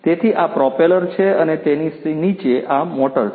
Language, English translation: Gujarati, So, this is this propeller and below it is this motor right